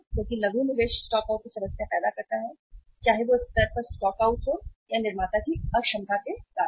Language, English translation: Hindi, Because short investment creates the problem of the stockouts whether it is a stock out at the level of or because of the inefficiency of the manufacturer